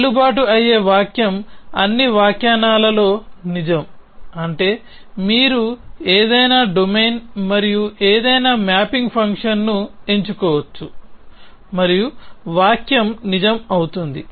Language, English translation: Telugu, So, a valid sentence is something which is true in all interpretations, which means you can choose any domain and any mapping function and the sentence will be true